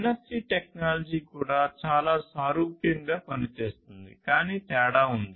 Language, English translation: Telugu, And this NFC technology also work very similarly, but has a difference